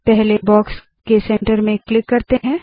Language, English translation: Hindi, Let us click at the centre of the first box